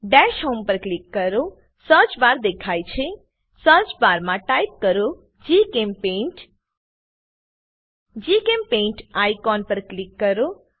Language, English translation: Gujarati, Click on Dash home Search bar appearsIn the Search bar type GChemPaint Click on the GChemPaint icon